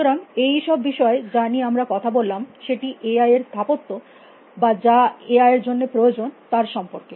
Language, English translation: Bengali, So, one all the things a talked about was this architecture for AI what you neat for AI